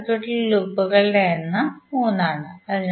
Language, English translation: Malayalam, Loops in that particular circuit would be equal to 3